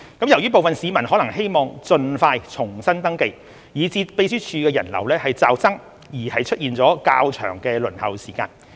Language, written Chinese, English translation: Cantonese, 由於部分市民可能希望盡快重新登記，以致秘書處人流驟增而出現較長輪候時間。, As some registrants might want to resubmit their registrations as soon as possible there was a sudden influx of visitors at the Secretariat resulting in longer waiting time